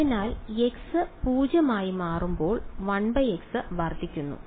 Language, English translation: Malayalam, So, as x tends to 0 1 by x also blows up right